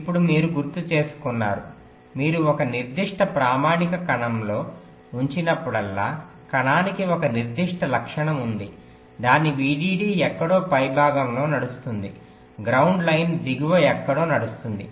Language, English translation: Telugu, you recall i mentioned that whenever you place a particular standard cell, the cell has a particular property: that its vdd runs somewhere in the top, ground line runs somewhere in the bottom and their relative positions across all the cells are the same